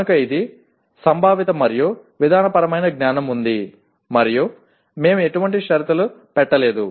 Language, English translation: Telugu, So it is both conceptual and procedural knowledge and we have not put any conditions